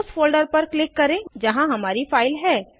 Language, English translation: Hindi, Click on the folder where the required file is located